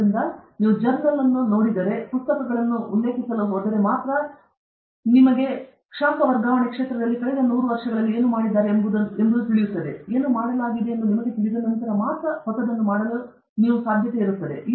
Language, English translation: Kannada, So, only if you go to journals, only if you go to reference books, only if you go to text books, for example, in heat transfer you will know what has been done in the last 100 years; only after you know what has been done, there is possibility for you to do something new